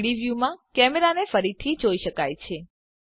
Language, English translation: Gujarati, The camera can be seen again in the 3D view